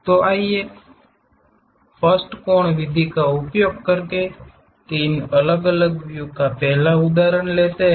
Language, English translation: Hindi, So, let us take first example three different views using 1st angle method